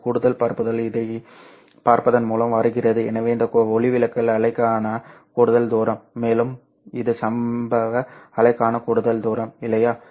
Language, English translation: Tamil, So this is the extra distance for the diffracted wave and this is the extra distance for the incident wave